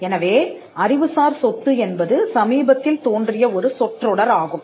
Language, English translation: Tamil, So, the term intellectual property has been of a recent origin